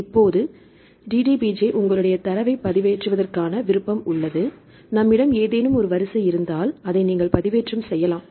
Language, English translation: Tamil, Now, the DDBJ they have the option to upload your data if we have any sequence right you can also upload the data